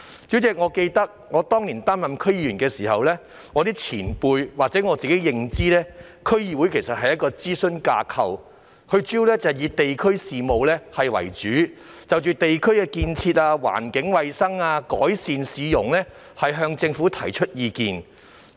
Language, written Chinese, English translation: Cantonese, 主席，我記得當年初任區議員時，有前輩告訴我，加上本身的認知，區議會是一個諮詢架構，主要以地區事務為主，就地區的建設、環境衞生及改善市容等方面向政府提供意見。, President as I remember from what some veterans told me when I was a novice DC member back then coupled with my own knowledge DC is an advisory structure which mainly deals with district affairs and offers advice to the Government on areas such as development environmental hygiene and streetscape improvement of the district